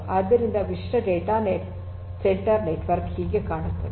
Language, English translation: Kannada, So, this is a typical data centre network how it looks like right